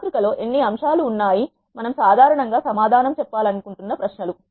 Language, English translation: Telugu, How many elements are there in the matrix is the questions we generally wanted to answer